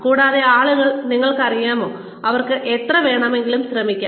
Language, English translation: Malayalam, And, people need to, you know, they can try as hard as they want